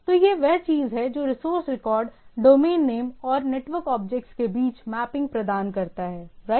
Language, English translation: Hindi, So, this is the thing resource record provide a mapping between the domain name and the network objects right